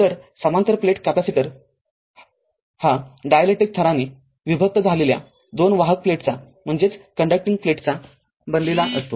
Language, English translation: Marathi, So, parallel plate capacitor consists of two conducting plates separated by dielectric layer right